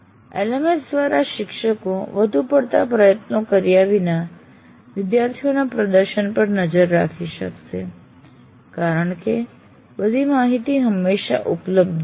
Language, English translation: Gujarati, And LMS will also enable the teachers to keep track of students' performance without excessive effort